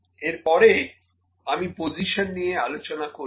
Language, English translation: Bengali, So, next I will discuss about the position